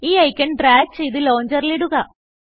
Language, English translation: Malayalam, Now, drag and drop the icon to the Launcher